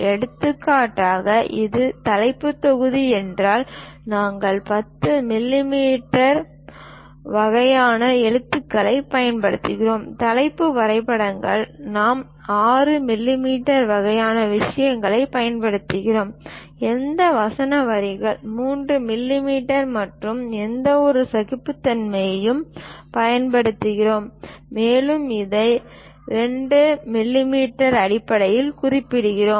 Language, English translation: Tamil, For example, if it is title block, we use 10 millimeters kind of letters; title drawings we use 6 millimeter kind of things, any subtitles we use 3 millimeters and any tolerances and so on represented it in terms of 2 millimeters